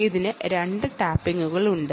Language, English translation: Malayalam, it has two tappings